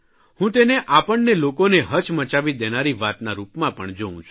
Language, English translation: Gujarati, I view it also as something that is going to shake us all